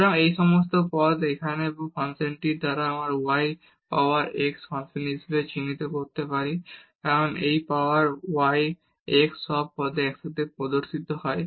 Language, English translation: Bengali, So, all these terms here or this function we can denote as the function of y power x, because this y power x appears together in all the terms